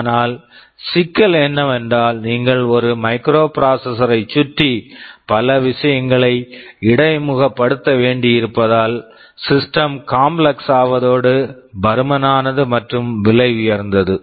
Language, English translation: Tamil, But, the trouble is that since you have to interface so many things around a microprocessor, the system becomes complex, bulky and also expensive